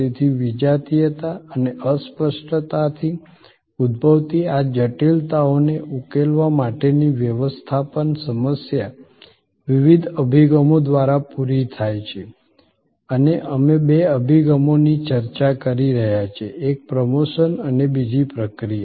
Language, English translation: Gujarati, So, the management problem for tackling these complexities arising from heterogeneity and intangibility are met by different approaches and we have been discussing two approaches, one promotion and the other process